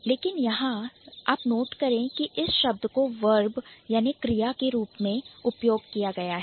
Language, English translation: Hindi, But you notice that this particular word has been also used as a verb here